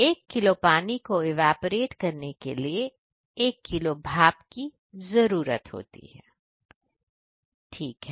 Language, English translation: Hindi, So, the basically 1 kg steam is used for 1 kg water evaporation